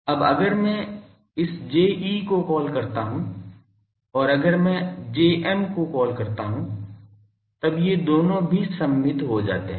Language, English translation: Hindi, So, here if we put a sorry, now if I call this J e and if I call this Jm then these 2 also becomes symmetrical